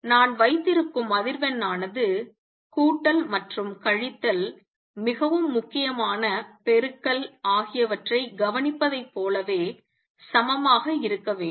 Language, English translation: Tamil, The frequency is that I keep should be the same as those that I observe addition and subtraction are taken care of more important is multiplication